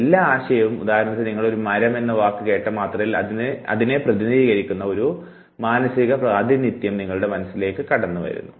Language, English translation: Malayalam, Think for instance you are told a word tree, the moment you hear the word tree a representation comes to your mind a mental representation